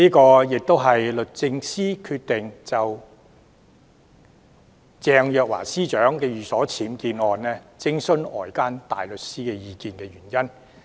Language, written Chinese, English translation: Cantonese, 這亦是律政司決定就鄭若驊司長的寓所僭建案，徵詢外間大律師意見的原因。, This is the reason for DoJ to seek opinion from private barrister in the case where unauthorized building works are found at the residence of Secretary Teresa CHENG